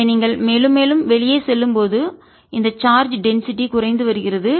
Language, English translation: Tamil, so as you go farther and farther out, this charge density is decreasing